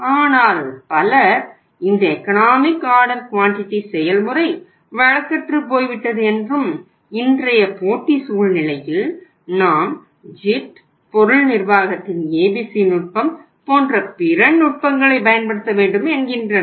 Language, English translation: Tamil, But here people say that this economic order quantity process has become obsolete and in today’s competitive scenario we should move to the other techniques like JIT, ABC technique of material management or the other techniques of material management but that is not correct